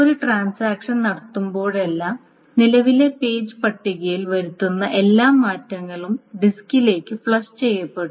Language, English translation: Malayalam, Now whenever a transaction commits, all the changes that are being made to the current page table, all those things are flushed to the disk